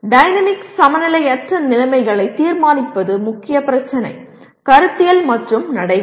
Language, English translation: Tamil, Determine dynamic unbalanced conditions is the main issue Conceptual and procedural